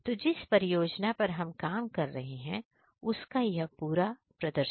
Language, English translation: Hindi, So, this is the complete demonstration of the project we are working